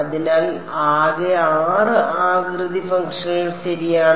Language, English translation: Malayalam, So, total of 6 shape functions ok